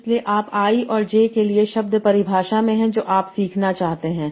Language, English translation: Hindi, So you are having in what definition for I and J that you want to learn